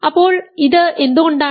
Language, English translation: Malayalam, So, why is this